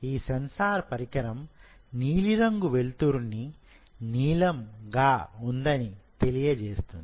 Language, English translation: Telugu, So, the sensor will tell this is blue light blue